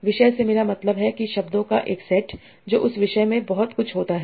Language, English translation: Hindi, By topic I mean a set of words that occur a lot in that topic